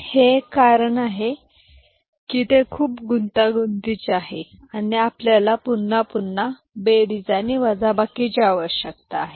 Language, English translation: Marathi, One reason is it is very complex and you need actually repeated number of addition and subtraction